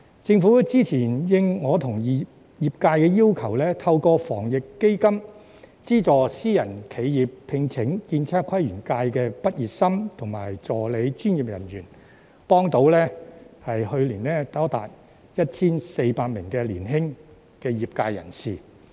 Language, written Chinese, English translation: Cantonese, 政府早前因應我和業界要求，透過防疫抗疫基金，資助私人企業聘請建測規園界的畢業生和助理專業人員，去年協助多達 1,400 名年輕業界人士。, The Government has previously responded to the requests of the industry and I to subsidize through the Anti - epidemic Fund private enterprises for the employment of graduates and assistant professionals in the architectural surveying town planning and landscape sectors . Last year the Government assisted 1 400 young practitioners in the sectors